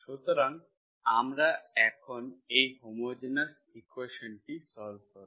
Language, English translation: Bengali, So we will solve this homogeneous equation now